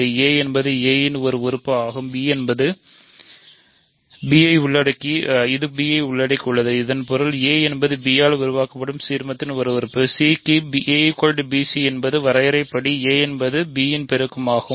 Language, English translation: Tamil, So, a is an element of a which is contained in b so; that means, a is an element of the ideal generated by b; that means, a is equal to b c for some c in R by definition a is a multiple of b